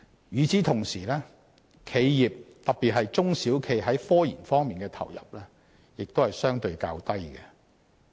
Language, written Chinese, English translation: Cantonese, 與此同時，企業特別是中小企在科研方面的投入亦相對較低。, Meanwhile enterprises inputs in scientific research are relatively low as well